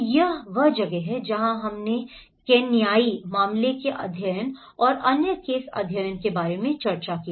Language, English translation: Hindi, So, that is where we discussed about the Kenyan case studies and other case studies as well